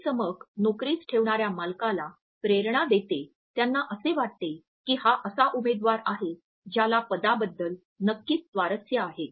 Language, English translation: Marathi, This is sparkle inspires the employer who may think that here is a candidate who is definitely interested in the position